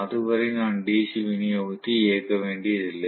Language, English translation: Tamil, Until then I do not have to turn on the DC supply